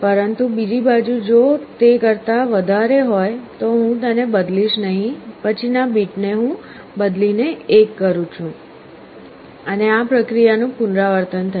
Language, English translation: Gujarati, But on the other side if it is greater than, I am not changing, the next bit I am changing to 1, and this process repeats